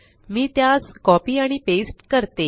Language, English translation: Marathi, I will copy and paste them